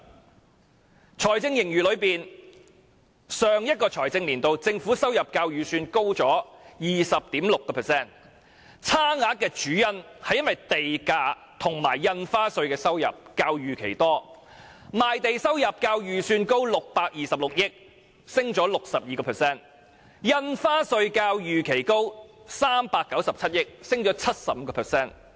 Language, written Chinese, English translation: Cantonese, 關於財政盈餘，政府在上一個財政年度的收入較預算高 20.6%， 差額的主因是地價及印花稅收入較預期多，賣地收入較預算高626億元，上升了 62%； 印花稅較預期高397億元，上升了 75%。, Regarding the fiscal surplus the government revenue in the last financial year is 20.6 % higher than the original estimate mainly due to much higher - than - expected revenues from land premium and stamp duties . The revenue from land sales is 62.6 billion higher than expected representing an increase of 62 % ; while the revenue from stamp duties is 39.7 billion higher than expected representing an increase of 75 %